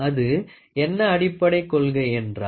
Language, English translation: Tamil, What is the basic principle